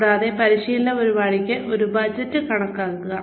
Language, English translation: Malayalam, And, estimate a budget for the training program